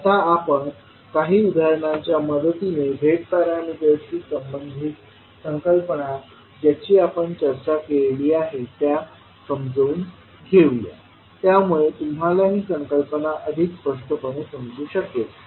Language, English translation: Marathi, Now, let us understand the concept which we discussed related to Z parameters with the help of few examples so that you can understand the concept more clearly